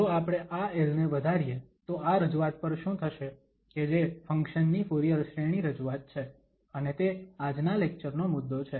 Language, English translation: Gujarati, If we increase this l, then what will happen to this representation which is the Fourier series representation of a function and that is the topic of this today's lecture